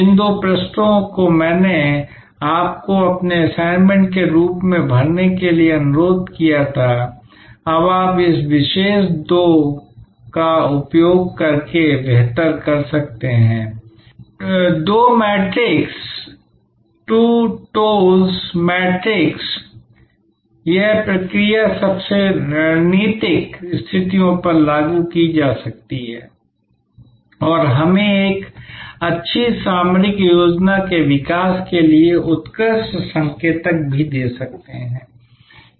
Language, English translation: Hindi, And what can they do now that, those two pages that I requested you to fill up as your assignment you can now do better by using this particular 2 by 2 matrix the TOWS matrix it is process can be applied to most strategic situations and can also give us excellent indicators for developing for a good tactical plan